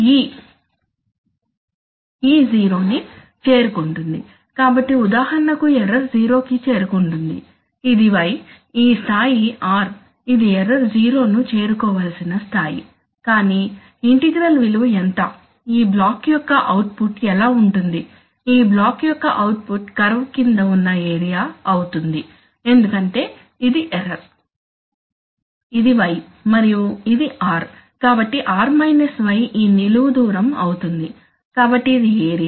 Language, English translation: Telugu, e goes to 0, so for example suppose the error goes to 0 this is, this is y, this level is r, this is the level so here error is going to 0, but what will be the value of the integral, what will be the output of this block, the output of this block is going to be the area under the curve because this is the error, this is y and this is r, so r – y is this vertical distance, so this is the area, right